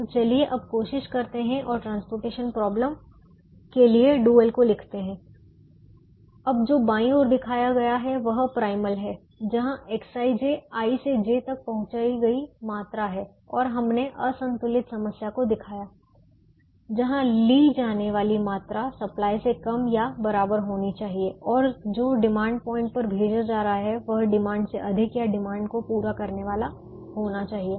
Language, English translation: Hindi, what is shown in the left is the primal, where x, i, j is the quantity transported from i to j, and we have shown the unbalanced problem where what is taken should be less than or equal to the supply and what is sent to the demand points should exceed or meet the demand